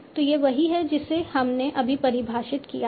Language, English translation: Hindi, So this is what we have defined right now